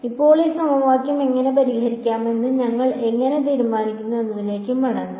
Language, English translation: Malayalam, Now, we will go back to how we are decided we will solve this equation